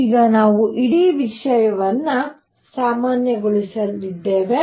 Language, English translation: Kannada, Now we have normalized the whole thing, alright